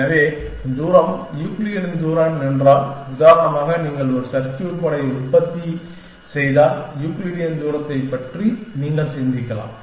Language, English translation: Tamil, So, for example, if you have manufacturing a circuit board then, you can think of the distances of the Euclidean distance